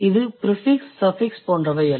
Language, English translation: Tamil, It is unlike the prefix and suffixes